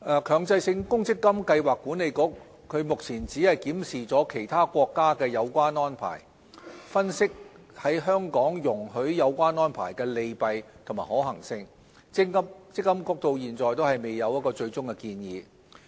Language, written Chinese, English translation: Cantonese, 強制性公積金計劃管理局只是檢視了其他國家的有關安排，分析在香港容許有關安排的利弊及可行性，積金局至今仍未有最終的建議。, The Mandatory Provident Fund Schemes Authority MPFA has only examined relevant arrangements in other countries analysed the pros and cons and studied the feasibility of introducing such arrangement into Hong Kong . MPFA has not had a final proposal yet